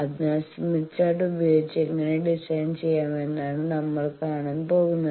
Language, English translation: Malayalam, So, with smith chart how to design